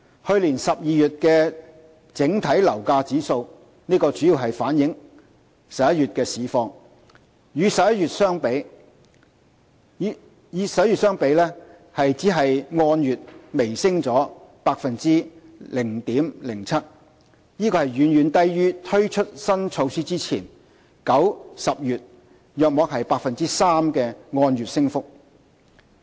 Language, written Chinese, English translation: Cantonese, 去年12月的整體樓價指數，主要反映11月的市況，與11月的相比，按月只微升 0.07%， 遠遠低於推出新措施前9月、10月約 3% 的按月升幅。, The overall price index for December last year mainly reflecting market situation in November as compared with that in November only saw a slight month - on - month increase of 0.07 % which was much lower than the month - on - month increase of about 3 % in September and October before introduction of the new measure